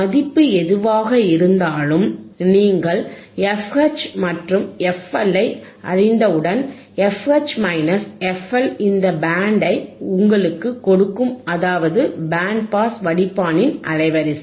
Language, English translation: Tamil, wWhatever the value is there, once you know f H once you knowand f L, if f H minus f L will give you this band which is your bandwidth and that is your bandwidth of your band pass filter